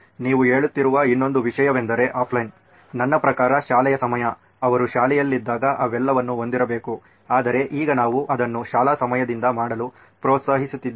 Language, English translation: Kannada, Another thing that you are saying is offline, I mean off the school hours, school is supposed to be to have all this when they are in school but now we are encouraging them to do it off the school hours